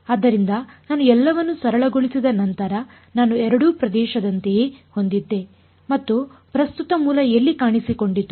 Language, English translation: Kannada, So, after I simplified everything I had something like in either region and the where did the current source appear